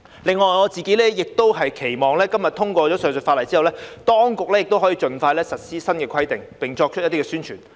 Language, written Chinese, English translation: Cantonese, 此外，我自己亦期望今天本會通過上述法例後，當局可以盡快實施新規定並作出宣傳。, In addition I also hope that the authorities can expeditiously put the new regulations into implementation and make publicity efforts upon the passage of this legislation by this Council today